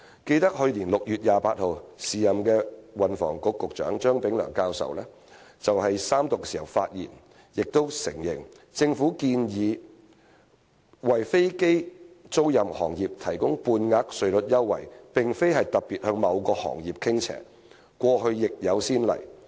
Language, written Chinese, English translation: Cantonese, 記得在去年6月28日，時任運輸及房屋局局長張炳良教授就相關法案三讀發言時說："我們建議為飛機租賃行業提供半額稅率優惠，並非是特別向某個行業傾斜，過去亦有先例。, I recall that on 28 June last year Prof Anthony CHEUNG the then Secretary for Transport and Housing said in his speech on the Third Reading of the relevant bill In proposing to offer half rate tax concessions for the aircraft leasing industry we are not being favourable to a particular industry . There were also precedent cases in the past